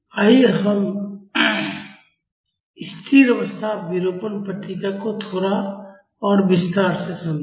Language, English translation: Hindi, Let us understand the steady state deformation response in little bit more detail